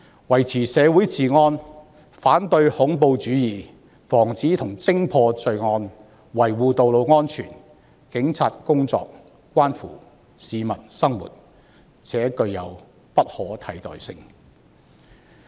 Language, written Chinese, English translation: Cantonese, 維持社會治安、反對恐怖主義、防止和偵破罪案、維護道路安全，警方的工作關乎市民的生活，而且具有不可替代性。, The work of the Police includes maintaining law and order in the community combating terrorism preventing and detecting crimes and maintaining road safety . All these are vital to peoples living and cannot be substituted . Amendment No